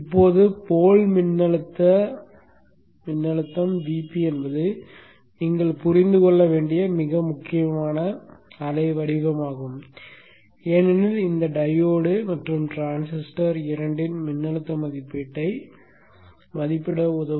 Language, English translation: Tamil, Now the port voltage VP is a very important waveform that you should understand because it will help in the rating both voltage rating of both this diode and the transistor